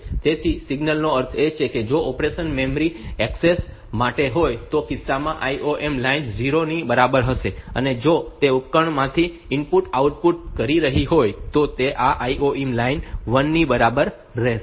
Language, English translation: Gujarati, So, that signal means if the operation if it is to in your memory access in that case this I O M bar line will be equal to 0, and if it is doing and input output from a device, then it will do this I O M bar line equal to 1